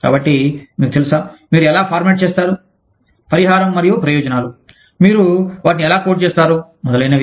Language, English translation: Telugu, So, you know, how do you format, the compensation and benefits, how do you code them, etcetera